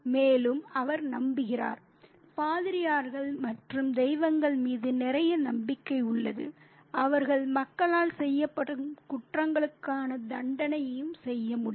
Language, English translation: Tamil, And he also believes or has a lot of faith in priests and gods who can also dole out punishment for crimes committed by people